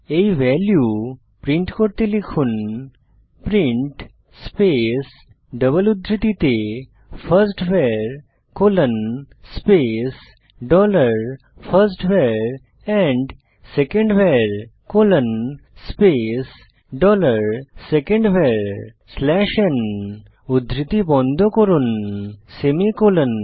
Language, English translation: Bengali, Now to print these values, type print double quote firstVar: dollar firstVar and secondVar: dollar secondVar slash n close double quote semicolon press Enter